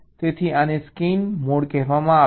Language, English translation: Gujarati, so this is called scan mode